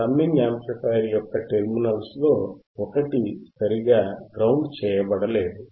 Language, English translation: Telugu, One of the terminals of the summing amplifier was not properly grounded